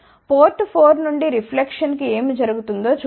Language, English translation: Telugu, Let us see what happens to the reflection from port 4